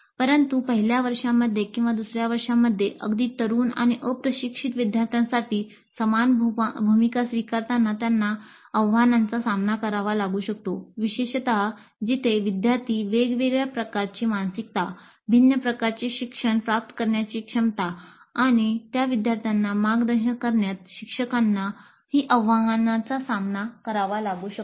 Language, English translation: Marathi, But they may face challenges in access to the same role for very end and untrained students in first year or second year in particular where the students come from a different kind of a mindset, different kind of a learning mode and faculty also may face challenge in mentoring those students